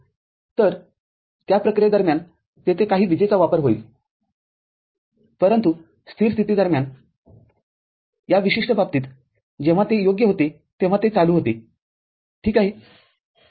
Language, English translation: Marathi, So, during that process some power consumption will be there, but during static condition unlike in this particular case when it was on right, when it was on ok